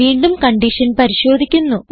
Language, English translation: Malayalam, We check the condition again